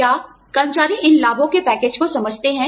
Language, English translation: Hindi, Do the employees, understand these benefits packages